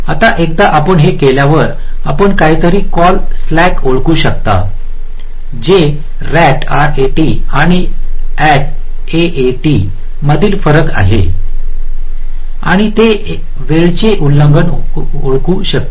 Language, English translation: Marathi, now, once you do this, so you can identify something call slack, which is the difference between rat and aat, and that can identify the timing violations for some cell